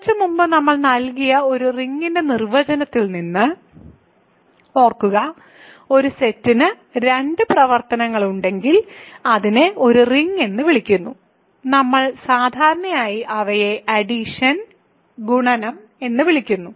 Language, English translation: Malayalam, Remember from the definition of a ring that we gave some time ago, a set is called a ring if it has two operations, we usually call them addition and multiplication